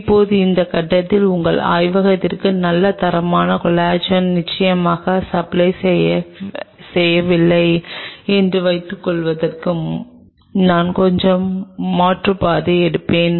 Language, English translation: Tamil, Now, at this stage I will take a slight detour to talk about suppose your lab does not get a reasonable supply of good quality collagen